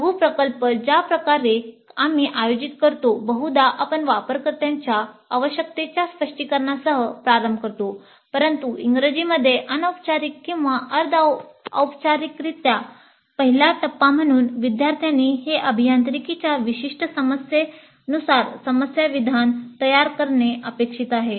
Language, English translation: Marathi, So, the way we organize the mini project, probably we start with the specification of the user requirements but informally or semi formally in English and as a first step the students are expected to formulate that as a specific engineering problem